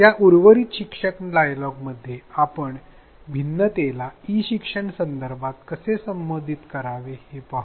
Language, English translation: Marathi, In this in the rest of this learning dialogue let us see how to address these differences in an e learning context